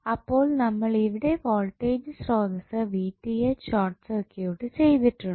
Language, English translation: Malayalam, So, we have short circuited the voltage source Vth